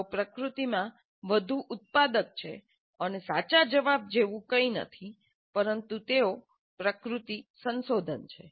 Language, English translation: Gujarati, So they are more generative in nature and there is nothing like a true answer but they are exploratory in nature